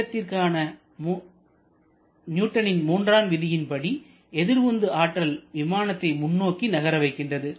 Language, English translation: Tamil, Just think about Newton's third law of motion using that reverse thrust only the aircraft is able to move in the forward direction